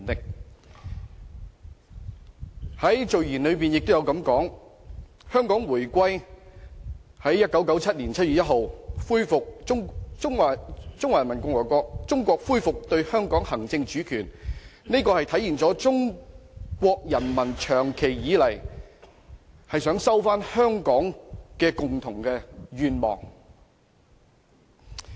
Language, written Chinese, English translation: Cantonese, 《基本法》的序言也提到，香港回歸，即中華人民共和國政府於1997年7月1日恢復對香港行使主權，實現了長期以來中國人民收回香港的共同願望。, It is also mentioned in the Preamble of the Basic Law that the reunification of Hong Kong that is the Government of the Peoples Republic of China resuming the exercise of sovereignty over Hong Kong with effect from 1 July 1997 fulfilled the long - cherished common aspiration of the Chinese people for the recovery of Hong Kong